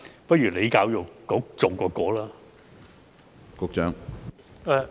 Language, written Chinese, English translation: Cantonese, 不如由教育局重新編寫吧。, We had better have it rewritten by EDB then